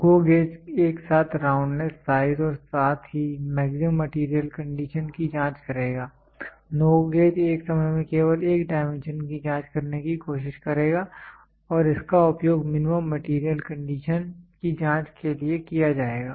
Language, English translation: Hindi, GO gauge will simultaneously check for roundness, size as well as maximum material condition; NO GO gauge will try to check only one dimension at a time and it will used for checking the minimum material condition